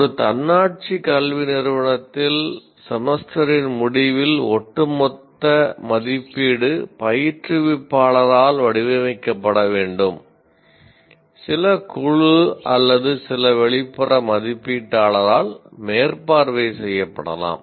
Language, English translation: Tamil, In an autonomous institution, one should normally the summative assessment at the end of semester is to be designed by the instructor, maybe overseen by some committee or some external evaluator